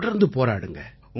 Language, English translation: Tamil, Keep on fighting